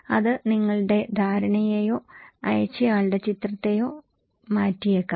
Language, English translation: Malayalam, That may change your perception or the image of the sender